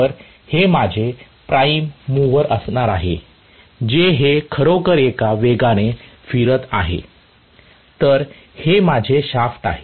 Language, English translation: Marathi, So, this is going to be my prime mover which is actually rotating this at a speed, so this is my shaft